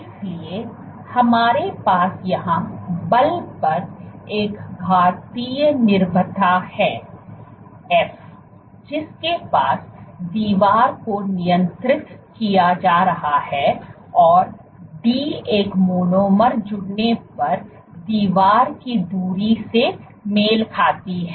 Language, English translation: Hindi, So, what we have here is an exponential dependence on force f, which is with which the wall is being restrained and d, d corresponds to the distance the wall moves if a monomer gets added